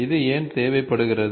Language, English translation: Tamil, Why is this required